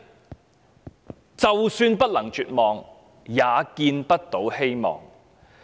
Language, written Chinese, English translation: Cantonese, 就是"就算不能絕望，也見不到希望"。, Even if they do not feel despair they do not see hope either